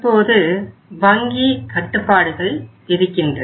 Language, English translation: Tamil, Now bank imposes the restrictions